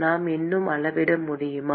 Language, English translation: Tamil, Can we still quantify